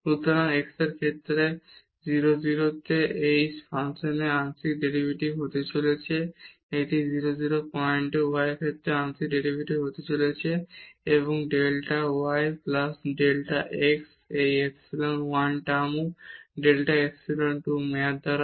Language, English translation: Bengali, So, this is going to be the partial derivative of that function at 0 0 with respect to x and this is going to be the partial derivative with respect to y at 0 0 point and delta y plus this delta x this is epsilon 1 term delta by epsilon 2 term